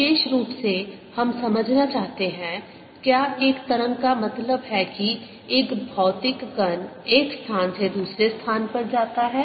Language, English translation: Hindi, in particular, we want to understand: does a wave mean that a material particle moves from one place to another